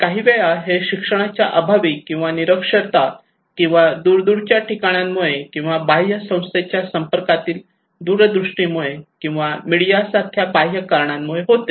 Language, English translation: Marathi, Sometimes because of lack of education or illiteracies or remoteness of the place or remoteness of their exposure to external agencies or external like media